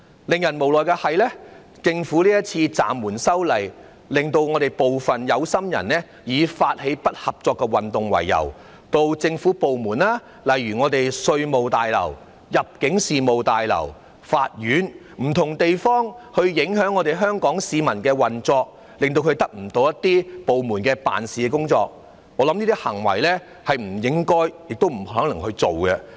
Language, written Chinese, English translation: Cantonese, 不過，無奈的是政府今次暫緩修例，令部分有心人以發起不合作運動為由，到政府部門，例如稅務大樓、入境事務大樓、法院等不同地方影響市民的運作，令他們得不到政府部門的服務，我覺得這些行為是不應該，也不能做的。, However it is unfortunate that after the Government had suspended the legislative amendment this time around some people with ulterior motives used the pretext of starting a non - cooperation movement and went to various government departments such as the Revenue Tower the Immigration Tower and the law courts to disrupt the lives of the people and as a result the latter could not use the services provided by government departments . I think this kind of actions should not be taken and are not right